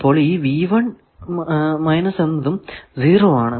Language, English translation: Malayalam, So, S 22 is also 0